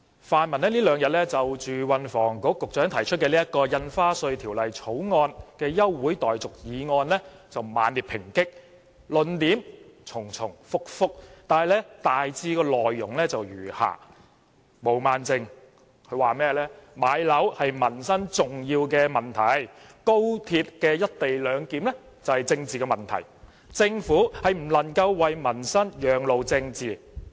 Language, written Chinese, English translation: Cantonese, 泛民這兩天猛烈抨擊運輸及房屋局局長就《2017年印花稅條例草案》提出休會待續議案，論點重重複複，內容大致如下：毛孟靜議員說，買樓是重要的民生問題，而高鐵"一地兩檢"則是政治問題，政府不能要民生讓路予政治。, On these two days the pan - democrats have violately attacked the Secretary for Transport and Housing for moving a motion to adjourn the proceedings of the Stamp Duty Amendment Bill 2017 the Bill . Their repetitive arguments are roughly as follows According to Ms Claudia MO home acquisition is an important livelihood issue while the co - location arrangement at the West Kowloon Station of the Hong Kong Section of the Guangzhou - Shenzhen - Hong Kong Express Rail Link XRL is a political issue